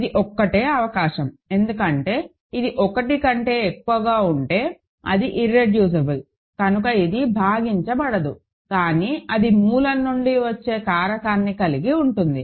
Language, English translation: Telugu, This is the only possibility because if it is greater than 1, it because it is irreducible it cannot split, but it has a factor coming from the root